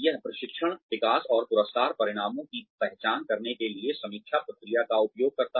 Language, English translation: Hindi, It uses the review process to identify training, development, and reward outcomes